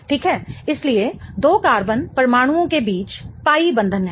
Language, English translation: Hindi, So, there is a pie bond between the two carbon atoms